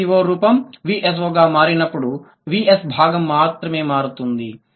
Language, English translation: Telugu, When S V O becomes V S O, only the V S component in changing